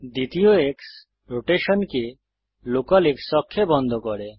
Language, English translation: Bengali, The second X locks the rotation to the local X axis